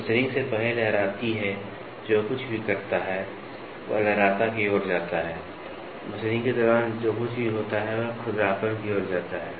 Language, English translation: Hindi, Waviness is before machining whatever does that leads to waviness, whatever happens during machining leads to roughness